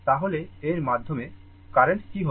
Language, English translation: Bengali, Then, what will be the current through this